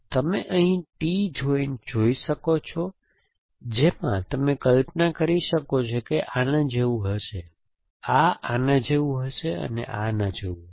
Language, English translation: Gujarati, You could see a T joint here in which case you can imagine this will be like this, this will be like this and this will be like this